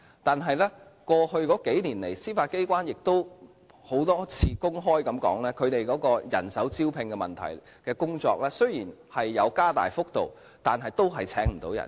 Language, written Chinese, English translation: Cantonese, 但是，過去數年來，司法機關曾多次公開談及其人手招聘的工作，雖然有提高薪酬，但仍然請不到人。, However over the past few years the Judiciary has mentioned its recruitment difficulties in public many times that although the remuneration is enhanced the vacancies remain unfilled